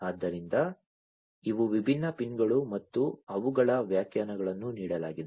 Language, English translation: Kannada, So, these are the different pins and their definitions are given